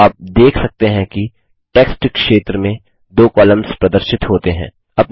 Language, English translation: Hindi, You see that 2 columns get displayed in the text area